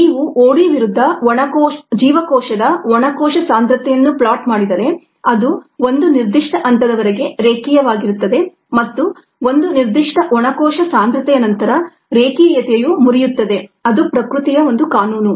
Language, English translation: Kannada, if you plot cell dry cell concentration versus o d, it is going to be linear till a certain point and above a certain dry cell concentration the linearity is going to break down